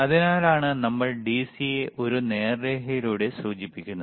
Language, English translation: Malayalam, That is why we indicate DC by a straight line